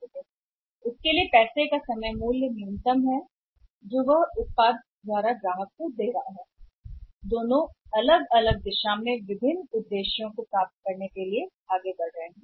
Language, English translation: Hindi, So, that the time value of the money for him which is paying to the computer by the product is minimum to both are moving in the different directions and to achieve the different objects